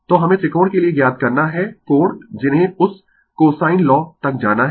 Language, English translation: Hindi, So, we have to find out the angle that you have to go for that cosine law for the triangle